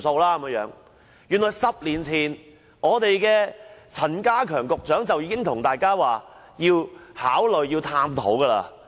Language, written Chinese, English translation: Cantonese, 原來在10年前，時任陳家強局長已公開表示會考慮探討差餉寬免。, As it has turned out then Secretary K C CHAN publicly indicated his intention to consider and explore rates concession 10 years ago